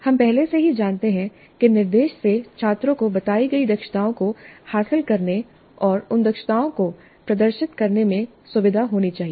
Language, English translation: Hindi, We already know that instruction must facilitate students to acquire the competencies stated and demonstrate those competencies